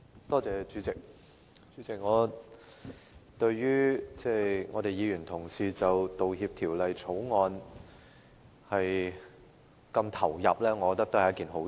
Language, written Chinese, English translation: Cantonese, 代理主席，對於議員同事就《道歉條例草案》的辯論如此投入，我認為是一件好事。, Deputy President our colleagues are fully engaged in the debate of the Apology Bill the Bill and I do appreciate this